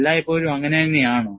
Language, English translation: Malayalam, Is it always so